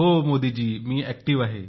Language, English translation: Marathi, Yes Modi ji, I am active